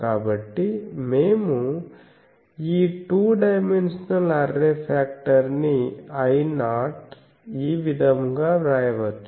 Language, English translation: Telugu, And so, we can rewrite this array factor two dimensional array factor as I 0